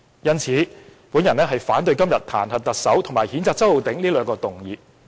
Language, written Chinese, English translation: Cantonese, 因此，我反對今天彈劾特首和譴責周浩鼎議員這兩項議案。, Hence I oppose the two motions of today to impeach the Chief Executive and censure Mr Holden CHOW . President I so submit